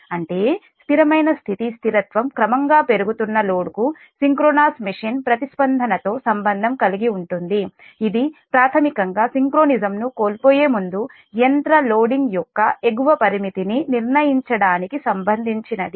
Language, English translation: Telugu, so steady state stability relates to the response of a synchronous machine of a gradually increasing load that you in, i mean you increase the load gradually and you can find out that data up determines the upper limit of the machine before it losing synchronism